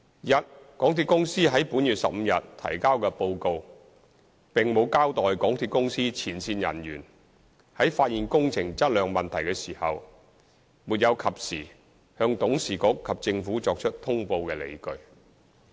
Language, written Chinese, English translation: Cantonese, 一港鐵公司在本月15日提交的報告，並無交代港鐵公司前線人員，在發現工程質量問題時，沒有及時向董事局及政府作出通報的理據。, 1 The report submitted by MTRCL on 15 June does not elaborate the rationale for not reporting to its board and the Government when the frontline staff of MTRCL discovered the problem in quality of the works